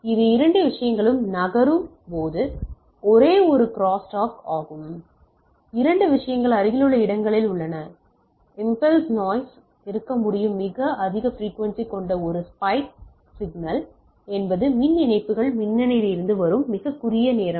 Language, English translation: Tamil, So it is a crosstalk when two things are moving, a two things are in nearby location and there can be impulse noise is a spike signal with very high frequency with very short time that comes from the power lines lightning etcetera